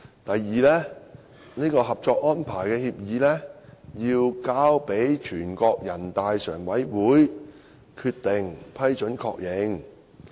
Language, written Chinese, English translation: Cantonese, 第二步，《合作安排》交由全國人民代表大會常務委員會通過決定予以批准及確認。, The second step is to seek the approval and endorsement of the Co - operation Arrangement by the Standing Committee of the National Peoples Congress NPCSC through a decision to be made by NPCSC